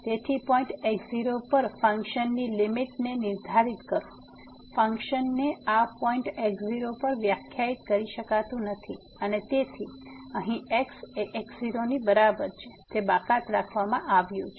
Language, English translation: Gujarati, So, define the limit of function at point naught, the function may not be defined at this point naught and therefore, here that is equal to naught is excluded